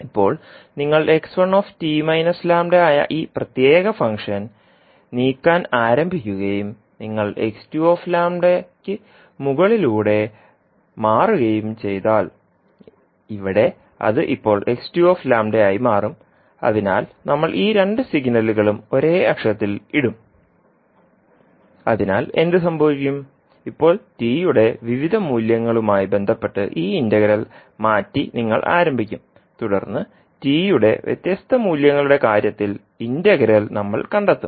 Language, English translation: Malayalam, now if you start moving this particular function that is x one t minus lambda and you shift over x2 lambda because here it will become now x2 lambda, so we will put both of these signal on the same axis so what will happen you will start now shifting this integral with respect to the various values of t and then we will find out what would be the integral in the cases of different values of t